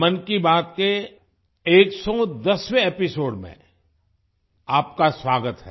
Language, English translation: Hindi, Welcome to the 110th episode of 'Mann Ki Baat'